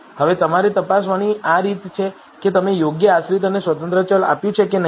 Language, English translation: Gujarati, Now, this is the way for you to check if you have given the right dependent and independent variable